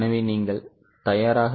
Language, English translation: Tamil, So, are you ready